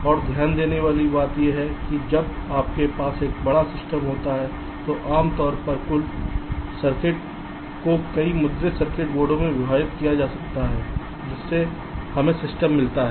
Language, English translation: Hindi, and the point to note is that when you have a large system, usually the total circuit is divided across a number of printed circuit boards, whereby we get the system